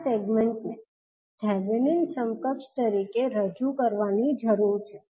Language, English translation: Gujarati, So this particular segment needs to be represented as Thevanin equivalent